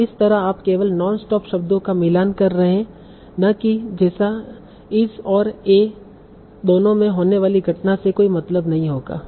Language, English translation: Hindi, So that way you are only matching the non stop words, not like a gen A occurring in both